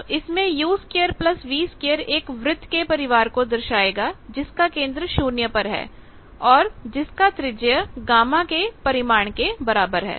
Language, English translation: Hindi, So, u square plus v square will represent circles family of circles with centre at 0 and radius a radius given by the gamma magnitude